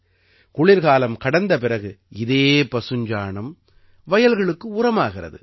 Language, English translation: Tamil, After winters, this cow dung is used as manure in the fields